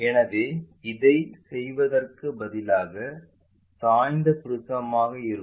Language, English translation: Tamil, So, instead of having this one let us have a inclined prism